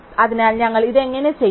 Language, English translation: Malayalam, So, how do we do this